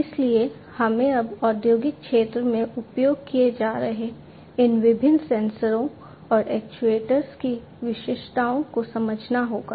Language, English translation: Hindi, So, we need to now understand the specificities of these different sensors and actuators being used in the industrial sector